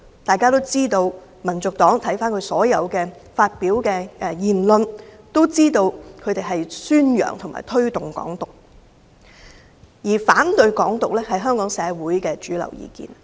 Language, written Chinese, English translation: Cantonese, 眾所周知，翻看香港民族黨發表的所有言論，便知道他們宣揚和推動"港獨"，而反對"港獨"是香港社會的主流意見。, From the remarks made by HKNP we know that they are advocating and promoting Hong Kong independence and mainstream public opinion is against Hong Kong independence